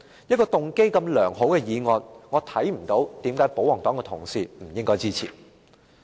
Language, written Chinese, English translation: Cantonese, 一個動機如此良好的議案，我看不到為甚麼保皇黨同事不應該支持。, I fail to see why royalist Members should not support this motion with such a good intention